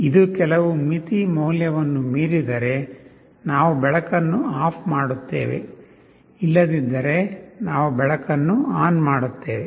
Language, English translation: Kannada, If it exceeds some threshold value we turn off the light; if not, we turn on the light